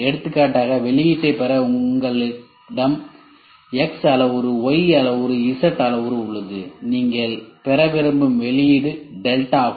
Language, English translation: Tamil, For example, you have X parameter, Y parameter, Z parameter to get an output; output is delta you want to get an output